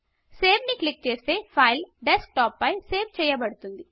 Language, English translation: Telugu, Click Save and the file will be saved on the Desktop